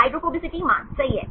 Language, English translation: Hindi, Hydrophobicity value right